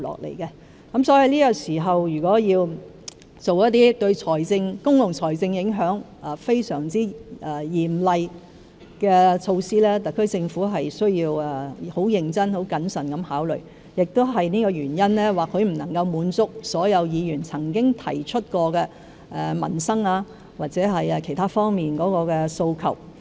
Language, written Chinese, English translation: Cantonese, 如要在這個時候，作出一些對公共財政有嚴重影響的措施，特區政府必須認真和謹慎考慮，正因為這個原因，政府或許不能滿足所有議員曾經提出的民生或其他訴求。, If the SAR Government implements some initiatives with serious impacts on public finance at this time we must make serious and careful considerations . Precisely for this reason the Government may not be able to meet all demands in respect of peoples livelihood or other areas raised by Members